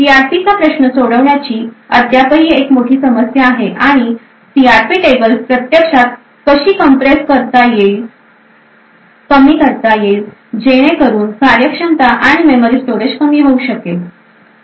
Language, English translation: Marathi, There is still a huge problem of solving the CRP issue and how the CRP tables could be actually compressed so that the efficiency and the memory storage can be reduced